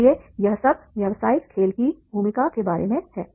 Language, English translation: Hindi, So therefore this is all about the role of the business game